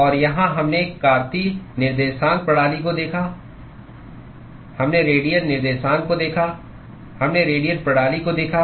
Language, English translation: Hindi, And here, we looked at Cartesian coordinate system; we looked at radial coordinates, we looked at radial system